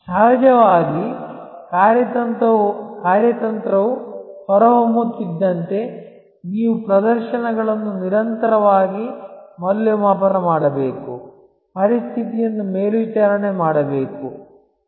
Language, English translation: Kannada, Of course, as the strategy rolls out you have to constantly evaluate performances, monitor the situation